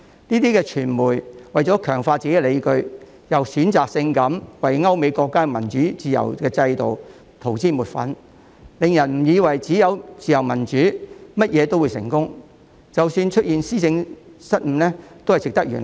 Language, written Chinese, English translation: Cantonese, 這些傳媒為了強化自己的理據，又選擇性為歐美國家的民主自由制度塗脂抹粉，令人以為只要有自由民主，便甚麼都會成功，即使出現施政失誤亦值得原諒。, In a bid to reinforce their justifications these media have also selectively whitewashed the democratic and liberal systems of European and American countries making people believe that everything will end up in success as long as there is freedom and democracy and even administrative malpractices are forgivable